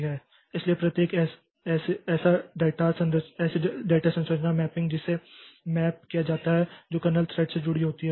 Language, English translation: Hindi, So, each such data structure mapping so that is mapped to, that is attached to a kernel thread